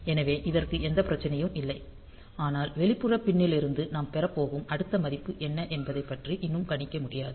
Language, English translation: Tamil, So, it does not have any issue, but still since it we cannot predict like what is the next value that we are going to get from the outside pin